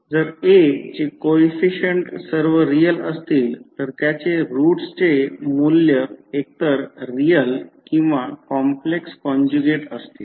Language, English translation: Marathi, So, if the coefficients of A are all real then its eigenvalues would be either real or in complex conjugate pairs